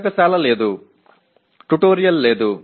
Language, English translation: Telugu, There is no laboratory, there is no tutorial